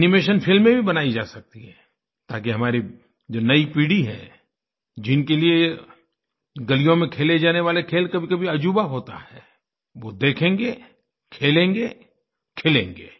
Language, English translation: Hindi, Animation films can also be made so that our young generations for whom these games played in our streets are something to marvel about, can see, play for themselves and thus bloom